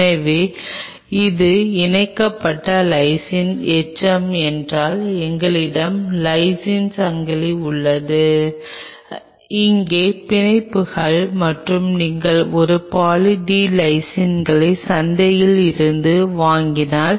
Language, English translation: Tamil, So, we have a chain of lysine if this is the lysine residue attached to it bonds out here and if you buy this Poly D Lysine from the market